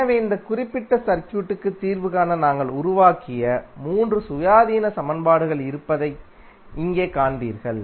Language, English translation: Tamil, So here you will see that there are 3 independent equations we have created to solve this particular circuit